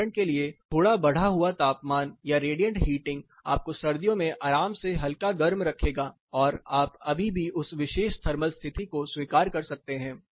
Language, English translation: Hindi, For example, a slightly increased temperature or a radiant heating will give you or will keep you comfortably warm in winter, and you can still accept that particular thermal condition